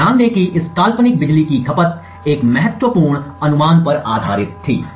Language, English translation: Hindi, So, note that this hypothetical power consumed was based on a key guess